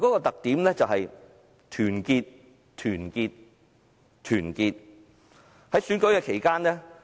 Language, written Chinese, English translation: Cantonese, 特點在於團結、團結和團結。, The key is unity solidarity and unanimity